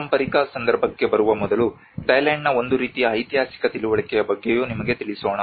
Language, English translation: Kannada, Before coming into the heritage context, let us also brief you about a kind of historical understanding of Thailand